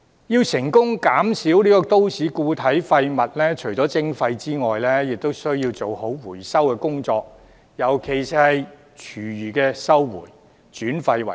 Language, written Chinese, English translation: Cantonese, 要成功減少都市固體廢物，除了徵費外，亦需要做好回收工作，尤其是廚餘回收，轉廢為能。, To achieve reduction of municipal solid waste apart from imposing charges it is also necessary to make proper efforts in recycling especially recovering food waste and waste - to - energy conversion